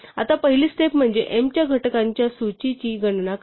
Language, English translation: Marathi, Now the first step is to compute the list of factors of m